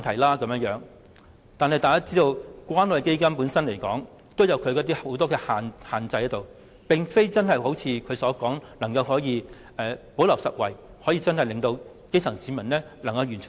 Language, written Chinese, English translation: Cantonese, 不過，大家也知關愛基金本身也受到很多限制，並非如特首所說般可以"補漏拾遺"，讓基層市民得益。, Yet we all know that CCF has its own limitations and it may not be able to implement gap - plugging measures which will benefit the grass roots